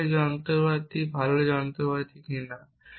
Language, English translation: Bengali, So, is this machinery, good machinery or not